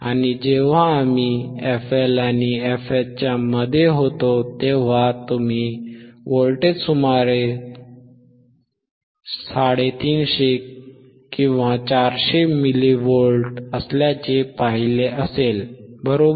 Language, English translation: Marathi, And or when we were between f L were between f L and f H, you would have seen the voltage which was around 350, 400 milli volts, right